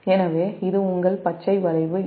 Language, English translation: Tamil, so this is your graph a